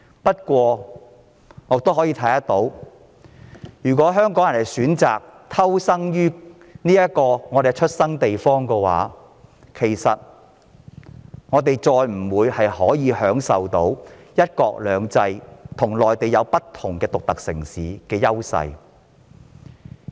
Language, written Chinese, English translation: Cantonese, 不過，我們可以預見，如香港人選擇在我們的出生地偷生，我們便無法再享有香港在"一國兩制"下有別於內地城市的優勢。, However as we can foresee if Hong Kong people have chosen to keep their noses clean in their hometown they will no longer enjoy the competitive edges of Hong Kong over other Mainland cities under one country two systems